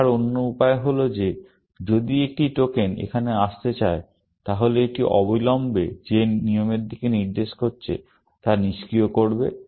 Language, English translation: Bengali, The other way to look at is that if a token wants to come here, then it will immediately, disable the rule to which, it is pointing to